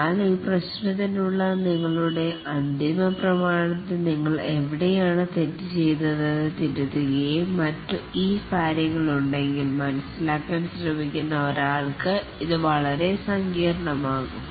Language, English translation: Malayalam, But if your final document for this problem has all these things where you did mistake, where you went back back, corrected and so on, then it becomes extremely complicated for somebody trying to understand